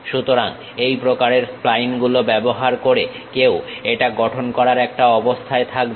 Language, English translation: Bengali, So, using these kind of splines one will be in a position to construct it